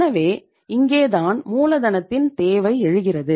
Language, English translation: Tamil, So here arises a need of working capital